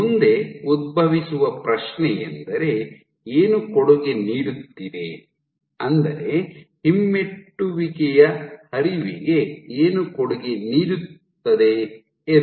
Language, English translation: Kannada, So, the question that arises next is what is contributing, what contributes to retrograde flow